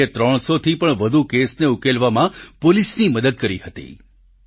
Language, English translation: Gujarati, Rocky had helped the police in solving over 300 cases